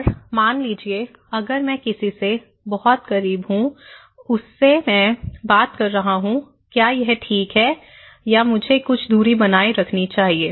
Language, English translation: Hindi, And so suppose, if I am very close to someone when I am talking to him, is it okay or should I maintain some distance